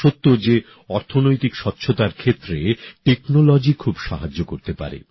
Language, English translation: Bengali, It is true that technology can help a lot in economic cleanliness